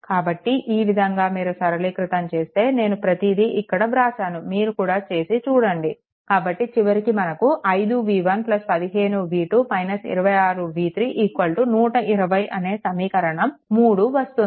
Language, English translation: Telugu, So, can simplify the way I told just now I wrote everything for you just you do it and simplify it will be 5 v 1 plus 15, v 2 minus 26, v 3 is equal to 120 this is equation 3